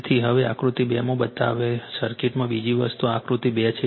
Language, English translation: Gujarati, So, now another thing in the circuit shown in figure this 2 this is figure 2 right